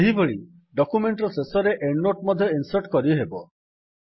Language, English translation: Odia, Likewise, you can insert an endnote at the bottom of the document